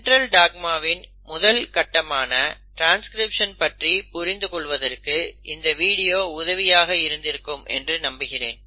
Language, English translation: Tamil, Hopefully this has helped you understand the first step in Central dogma which is transcription